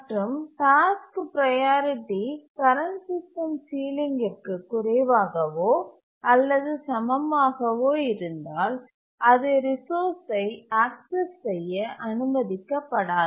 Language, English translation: Tamil, And if the priority of the task is less than the current system ceiling, less than or equal to, then it is not allowed to access the resource